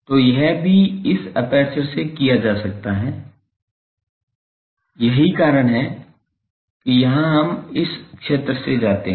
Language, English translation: Hindi, So, that can be done also this aperture is a aperture so, that is why here from the field we go